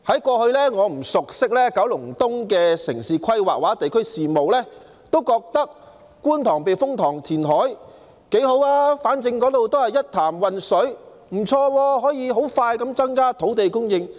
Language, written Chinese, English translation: Cantonese, 過去我不熟悉九龍東的城市規劃或地區事務，當時我覺得觀塘避風塘填海挺好的，反正那裏是一潭渾水，而且可以很快增加土地供應。, In the past I did not have a good understanding of the urban planning or district affairs in Kowloon East and back then I thought that reclamation at the Kwun Tong Typhoon Shelter would be quite good since it was a pool of murky water anyway and land supply could then be increased rapidly